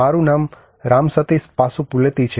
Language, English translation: Gujarati, My name is Ram Sateesh Pasupuleti